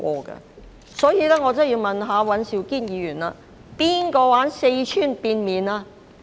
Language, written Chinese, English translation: Cantonese, 因此，我真的要問尹兆堅議員：誰玩四川變臉呢？, In view of this I really need to ask Mr Andrew WAN this question Who is pulling the stunt of Sichuans face - changing?